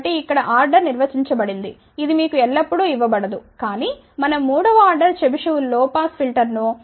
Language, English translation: Telugu, So, here the order is defined which may not be always given to you ok, but let say we want to design a third order Chebyshev low pass filter that has a ripple of 0